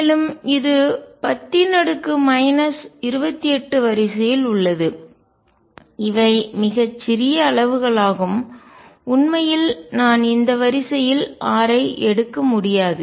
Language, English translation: Tamil, So, that is of the order of 10 raise to minus 28, these are very small quantities I cannot really take r to be in this order